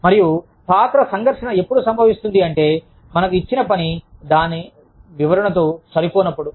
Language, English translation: Telugu, And, role conflict occurs, when you are asked to do something, that is not in line, with this description